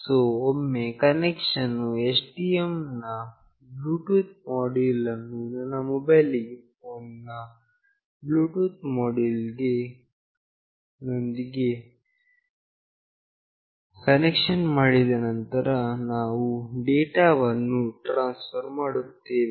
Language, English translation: Kannada, So, once the connection is built with the Bluetooth module of STM along with the Bluetooth module of my mobile phone, we will transfer the data